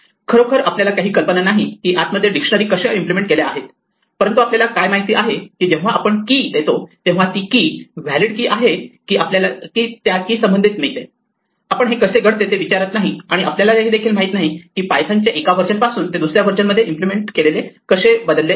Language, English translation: Marathi, We have no idea actually how dictionaries implemented inside, but what we do know is that if we provide a key and that key is a valid key we will get the associated with that key, we do not ask how this is done and we do not know whether from one version of python to the next the way in which this is implemented changes